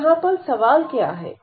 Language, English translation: Hindi, So, what is the question here